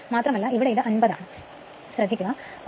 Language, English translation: Malayalam, 03 and this is 50, so it will be 1